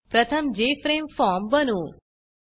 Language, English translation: Marathi, Let us first create the Jframe form